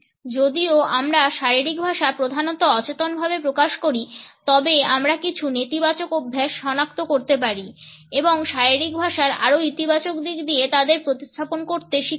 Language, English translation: Bengali, Even though, our body language is mainly unconscious we can identify certain negative habits and learn to replace them by a more positive aspect of body language